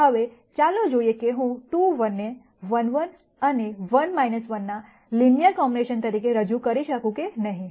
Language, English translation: Gujarati, Now, let us see whether I can represent this 2 1 as a linear combination of 1 1 and 1 minus 1